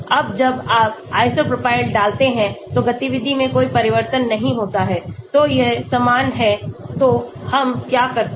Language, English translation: Hindi, Now when you put iso propyl there is no change in the activity, so that is equal so what do we do